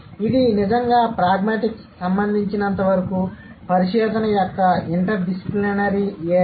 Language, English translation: Telugu, And it's truly an interdisciplinary area of research as far as pragmatics is concerned